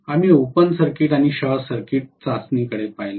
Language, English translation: Marathi, We looked at open circuit and short circuit test